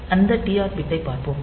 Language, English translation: Tamil, So, we will see that TR bit